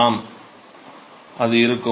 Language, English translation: Tamil, Yeah it will be